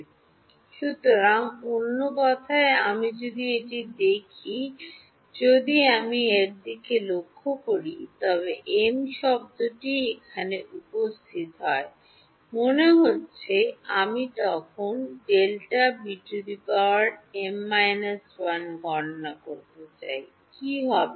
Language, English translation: Bengali, So, in other words if I look at this, if I look at delta beta; delta beta m, the m term is only appearing here supposing I want to calculate delta beta m plus 1 then, what will happen